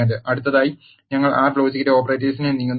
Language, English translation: Malayalam, Next we move on to the logical operations in R